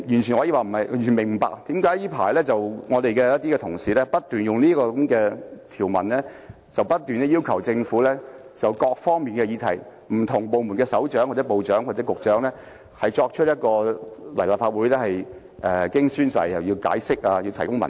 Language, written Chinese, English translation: Cantonese, 所以我完全不明白為何這陣子我們的同事不斷利用這些條文，要求政府就各方面的議題，傳召不同的部門首長或局長到立法會作證、解釋和提供文件。, Therefore I simply do not understand why our Honourable colleagues have recently kept proposing motions under these provisions to summon different heads of departments or Directors of Bureaux of the Government to attend before the Council to testify explain and produce documents regarding various issues